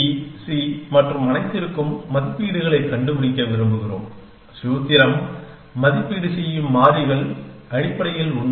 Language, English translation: Tamil, We want to find valuations for a, b, c and all the variables such that the formula evaluate is true essentially